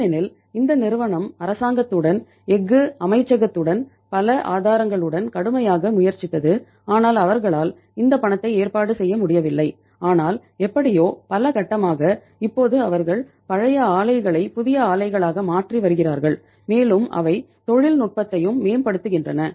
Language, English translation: Tamil, Because this company tried hard with the government, with the Ministry of Steel, with many other sources but they could not generate this money but somehow in a phased manner now they are replacing the old plants with the new ones and they are improving the technology also